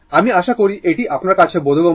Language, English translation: Bengali, I hope this is understandable to you